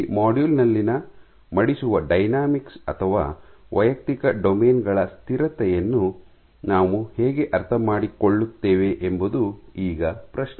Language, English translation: Kannada, So, the question is how do we understand how the folding dynamics or the stability of individual domains within this module